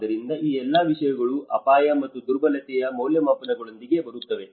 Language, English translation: Kannada, So, all these things will come under within the risk and vulnerability assessment